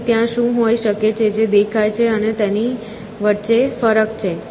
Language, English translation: Gujarati, So, there is a difference between what can be, what appears to be, essentially